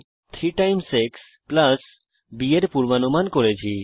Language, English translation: Bengali, We predicted an input function f = 3 x + b